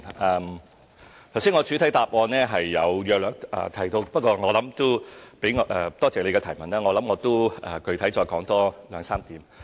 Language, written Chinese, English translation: Cantonese, 我剛才在主體答覆已約略提到，不過我也感謝議員的提問，我可具體說明兩三點。, I have already mentioned this briefly in the main reply just now but I still thank Member for the question . I can specify a few more points